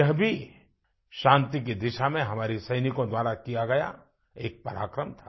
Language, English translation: Hindi, This too was an act of valour on part of our soldiers on the path to peace